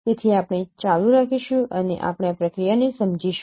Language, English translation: Gujarati, So we will continue and we will understand this process